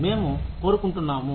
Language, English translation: Telugu, Whether, we want to